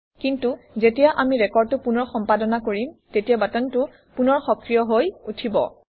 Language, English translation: Assamese, But if we edit this record again, then the button gets enabled again